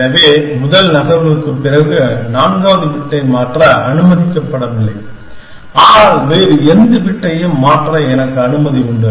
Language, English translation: Tamil, So, after the first move I am allowed not allowed to change the fourth bit, but I am allowed to change any other bit